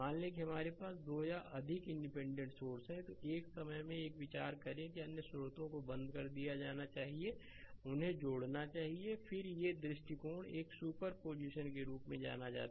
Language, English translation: Hindi, Suppose we have 2 or more independent sources, then you consider one at a time other sources should be your turn off right and you add them up right, then these approach is known as a super position